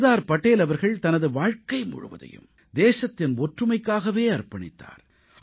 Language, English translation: Tamil, Sardar Patel dedicated his entire life for the unity of the country